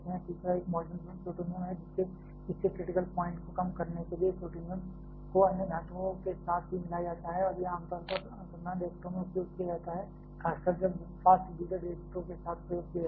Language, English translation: Hindi, Third is a molten plutonium, plutonium is also alloyed with other metals to lower its critical point and it is a commonly used in research reactors, particularly when experiment with fast breeder reactors